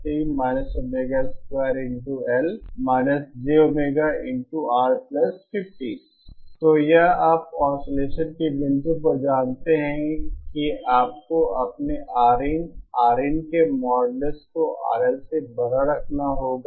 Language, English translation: Hindi, And this you know at the point of oscillation you have to have your R in a modulus of R in greater than R L